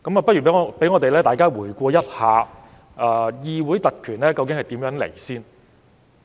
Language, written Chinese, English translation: Cantonese, 先讓大家回顧一下議會特權的由來。, Let us revisit the origin of parliamentary privileges